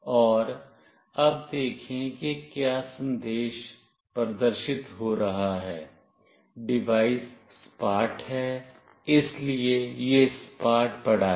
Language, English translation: Hindi, And now see what message is getting displayed, the device is flat, so it is lying flat